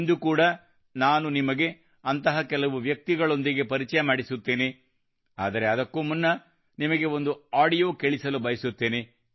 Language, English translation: Kannada, Even today I will introduce you to some such people, but before that I want to play an audio for you